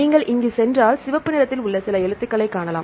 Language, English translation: Tamil, Now, if you go here you can see some letters in red right